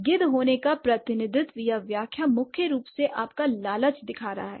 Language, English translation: Hindi, The representation or the interpretation of being a vulture is mainly showing your greed